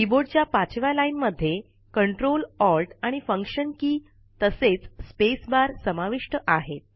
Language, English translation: Marathi, The fifth line of the keyboard comprises the Ctrl, Alt, and Function keys.It also contains the space bar